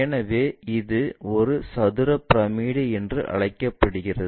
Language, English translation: Tamil, So, it is called square pyramid